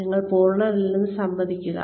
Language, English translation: Malayalam, Please admit, that you are not perfect